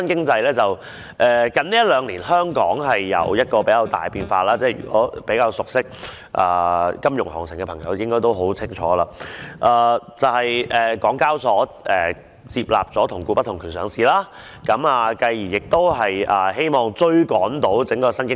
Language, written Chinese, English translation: Cantonese, 最近兩年，香港有出現了頗大的變化——較為熟悉金融行情的朋友，應該都很清楚——就是港交所接納了"同股不同權"上市的做法，繼而希望追趕上整個新經濟時代。, Hong Kong has seen significant changes in the recent year or two―people who are familiar with the financial market should know well that HKEx has accepted the arrangement of weighted voting rights in its listing rules in the hope of catching up with the new economy era